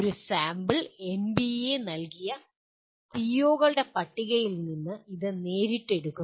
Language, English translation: Malayalam, One sample, this is directly taken from the list of POs as given by NBA